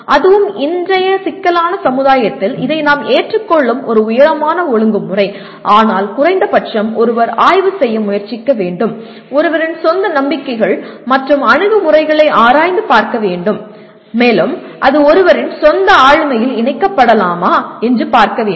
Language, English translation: Tamil, This is a tall order we agree, and that too in a present day complex society but at least one should make an attempt to inspect, to introspect on one’s own believes and attitudes and see whether it can be incorporated into one’s own personality